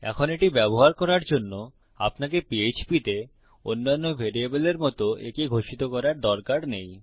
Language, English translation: Bengali, Now, to create the use for this, you dont need to declare it, as the other variables in Php